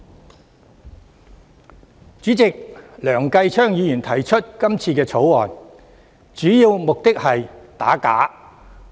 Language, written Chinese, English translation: Cantonese, 代理主席，梁繼昌議員提出這項《條例草案》，主要目的是想打假。, Deputy President Mr Kenneth LEUNG proposes this Bill mainly to combat forgery